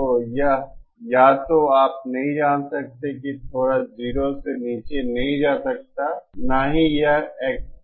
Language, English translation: Hindi, So it cannot either you know that little cannot go down to 0, neither can it expo